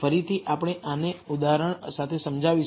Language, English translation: Gujarati, Again, we will illustrate this with an example